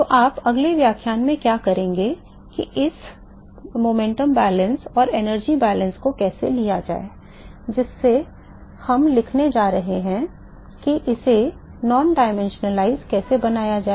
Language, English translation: Hindi, So, what you will do in the next lecture is how to take these momentum balance and the energy balance, that we are going to write how to non dimensionalize it